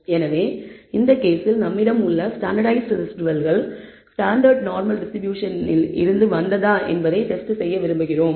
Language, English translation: Tamil, So, in this case we want to test, whether residuals that we have the standardized residuals, come from a standard normal distribution